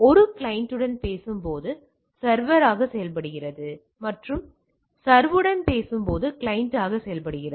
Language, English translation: Tamil, Acts as a server while talking to a client and acts as a client while talking to the server